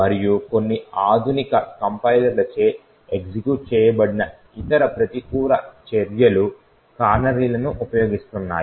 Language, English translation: Telugu, And other countermeasure that is implemented by some of the modern day compilers is by the use of canaries